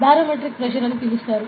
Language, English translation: Telugu, What is barometric pressure